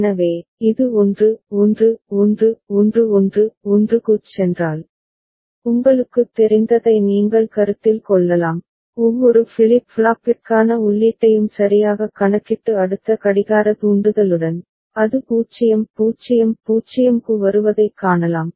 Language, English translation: Tamil, So, if it goes to 1 1 1 11 1 and then, you can consider the you know, calculate the input for each of the flip flops right and with a next clock trigger, you can see that it is coming to 0 0 0